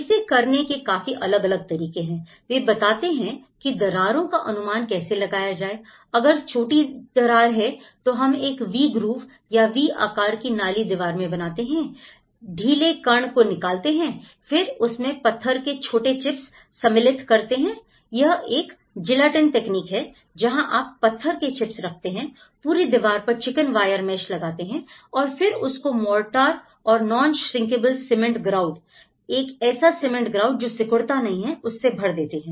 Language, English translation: Hindi, Now, there are different ways of; he explains different scales of these cracks for instance, if it is a smaller crack what to do is; we making a V groove and removal of loose particles, then insertion of stone chips, so there is a Gelatin technique sort of thing, you keep the stone chips and then, then fixing a chicken wire mesh all along and then filling with the mortar and non shrinkable cement grout